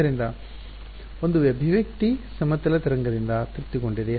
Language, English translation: Kannada, So, an expression satisfied by a plane wave right